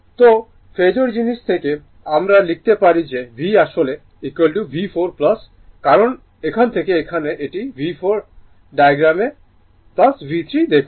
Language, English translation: Bengali, So, from that you are from the Phasor thing we can write that V actually is equal to V 4 plus because from here to here it is V 4 look at the diagram plus V 3